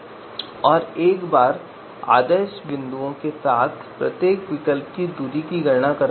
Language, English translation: Hindi, So we do distance computations for each alternative with the ideal and anti ideal points